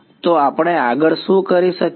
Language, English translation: Gujarati, So, what could we do next